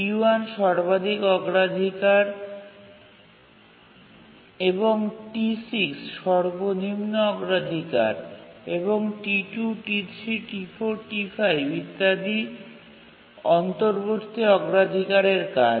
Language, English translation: Bengali, T1 is the highest priority and T6 is the lowest priority and T2, T3, T4, T 5 etc